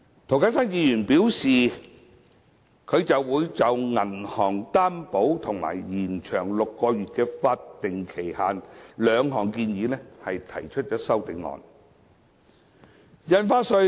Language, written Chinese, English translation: Cantonese, 涂謹申議員表示會就銀行擔保及延長6個月的法定期限兩項建議提出修正案。, Mr James TO has indicated that he will propose CSAs on the suggestions concerning bank guarantee and extension of the six - month statutory time limit